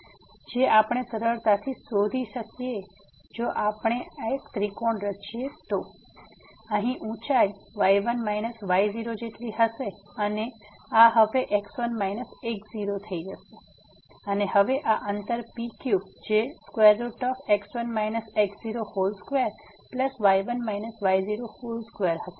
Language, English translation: Gujarati, So, which we can easily find out if we form this triangle, then this here the height will be like minus and this is going to be minus and now, this distance P Q will be the square root of minus square and plus minus square